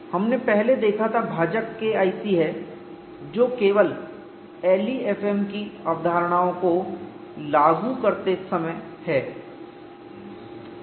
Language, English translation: Hindi, We had seen earlier, the denominator is K1c that is only when you're applying concepts of l e f m